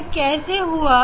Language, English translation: Hindi, why it is happening